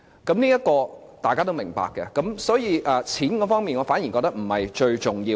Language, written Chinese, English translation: Cantonese, 這方面大家都是明白的，因此在錢方面，我反而認為不是最重要。, We all understood this and therefore as far as money is concerned I think it is not the most important thing